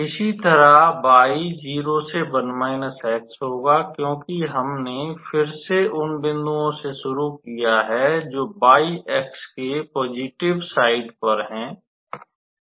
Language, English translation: Hindi, Similarly, y will vary from 0 to 1 minus x, because we again start with the points which are lying on the positive side of y axis